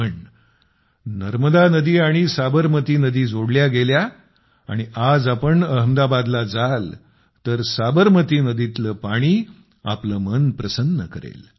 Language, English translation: Marathi, But river Narmada and river Sabarmati were linked…today, if you go to Ahmedabad, the waters of river Sabarmati fill one's heart with such joy